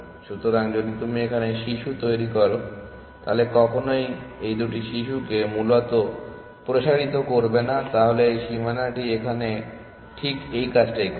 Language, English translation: Bengali, So, if you generate a child here for example, then you will never expand these two children essentially, so that is the purpose that this boundary is serving